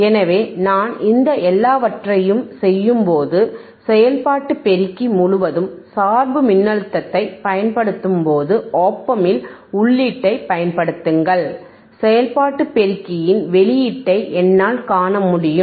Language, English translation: Tamil, So, when I do all these things, when I apply bias voltage across operation amplifier, apply the input at the op amp, I will be able to see the output from the operation amplifier is what we will do today